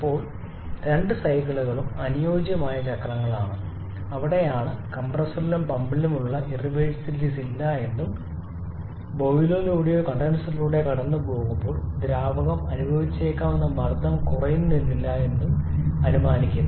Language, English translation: Malayalam, Now both the cycles are ideal cycles that is where we are not considering the irreversibilities which can be present in the compressor and pump and also the pressure drop which the fluid may experience while passing through the boiler or the condenser